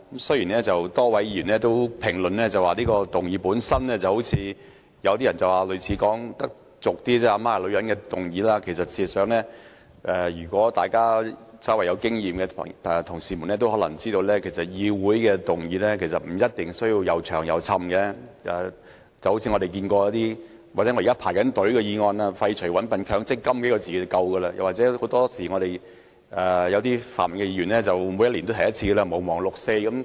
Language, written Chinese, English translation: Cantonese, 雖然剛才多位議員評論這項議案，說有點俗語所謂"阿媽是女人"的意味，但事實上，稍有經驗的同事也知道，在議會提出的議案不一定要長篇大論，就如其中一項在輪候編配辯論時段的議案："廢除'搵笨'強積金"，寥寥數字便已足夠，又例如泛民議員每年也會提出一項"毋忘六四"的議案。, Some Members have commented that this motion is like saying My mother is a woman but in fact the more experienced Members would know that motions proposed in this Council do not have to be worded in a lengthy manner . For example the wording of a motion awaiting the allocation of a debate slot is Abolishing the Mandatory Dupery Fund . Just a few words will do